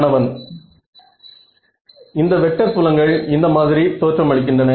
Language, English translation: Tamil, They were these vector fields that look like this right